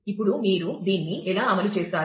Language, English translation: Telugu, Now, how do you implement this